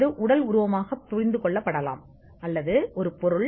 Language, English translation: Tamil, This could be understood as a physical embodiment or how it will look